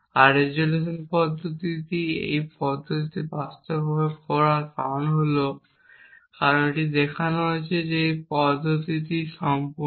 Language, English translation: Bengali, And the reason why the resolution method is implemented in this manner is, because it has been shown that the method is complete